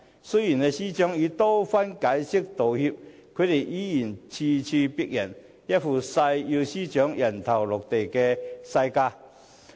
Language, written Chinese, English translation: Cantonese, 雖然司長已多番解釋及道歉，他們依然咄咄逼人、一副誓要司長"人頭落地"的架勢。, Although the Secretary for Justice has explained and apologized time and again they are still very aggressive as if they vow to have the Secretary for Justice beheaded